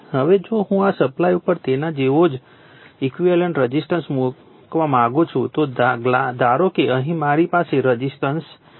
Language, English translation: Gujarati, Now, if I want to put that equivalent resistance similar to that on the this supply your what you call on the primary side in suppose I have a resistance here